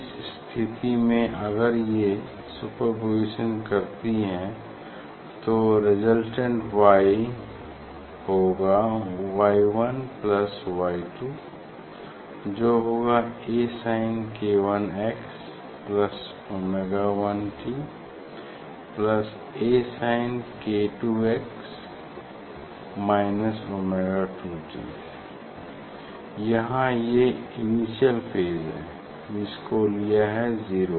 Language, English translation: Hindi, we will get the resultant y, so that is so A sin Y 1 plus Y 2 a sin k 1 x minus omega 1 x plus a sin k 2 x minus omega 2 t so here so this phase initial phase for just I have taken a 0, ok